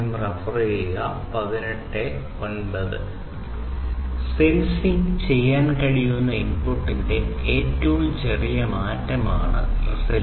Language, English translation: Malayalam, And resolution is about the smallest change in the input that a sensor is capable of sensing